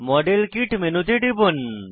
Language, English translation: Bengali, Click on modelkit menu